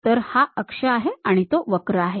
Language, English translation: Marathi, So, this is the axis, that is the curve